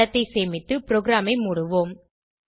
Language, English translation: Tamil, Save the image and exit the program